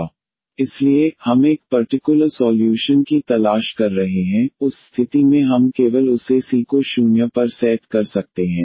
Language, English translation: Hindi, So, we are looking for a particular solution, in that case we can set just this C to 0